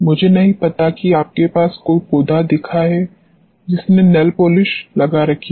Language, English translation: Hindi, I do not know whether you have seen any plant where the nail polishes have been done